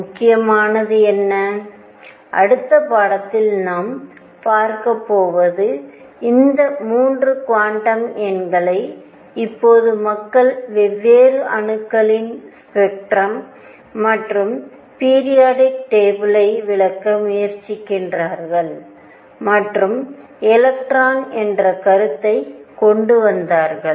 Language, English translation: Tamil, What is important and what I am going to cover in the next lecture is having these 3 quantum numbers now people try to explain the spectrum of different atoms and also the periodic table and came up with the concept of electron spin